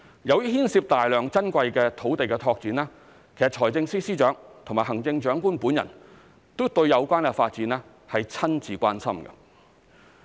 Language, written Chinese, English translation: Cantonese, 由於牽涉大量珍貴土地的拓展，財政司司長及行政長官都對有關發展親自關心。, Since development of a lot of valuable sites will be involved the Financial Secretary and the Chief Executive have personally expressed their concerns about the development